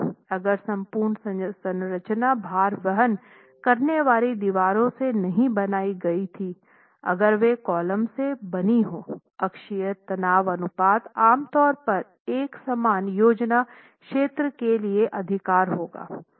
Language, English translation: Hindi, If the entire structure were not made out of load bearing walls were made out of columns, the axial stress ratio will typically be higher for a similar plan area